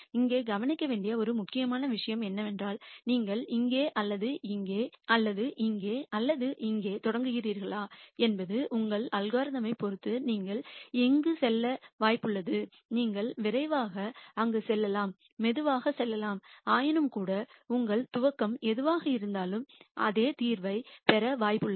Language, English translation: Tamil, An important thing to notice here is the respective of whether you start here or here or here or here you are likely to go here depending on your algorithm, you can go there quicker you can go the slower and so on nonetheless whatever is your initialization you are likely to get to the same solution